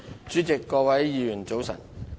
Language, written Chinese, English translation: Cantonese, 主席，各位議員，早晨。, President Honourable Members good morning